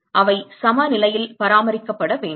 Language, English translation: Tamil, So, they have to be maintained at equilibrium